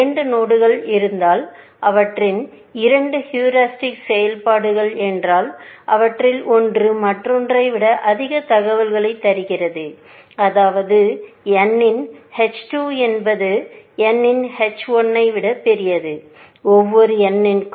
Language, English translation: Tamil, We also saw that if two nodes, if their two heuristic functions, one of them is more informed than the other, which means h 2 of n is greater than h 1 of n, for every n